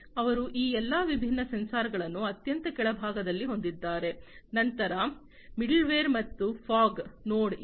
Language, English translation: Kannada, They have all these different sensors at the very bottom, then there is the middleware and the fog node